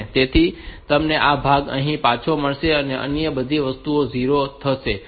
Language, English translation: Gujarati, So, you will get back this part here and all other things will be 0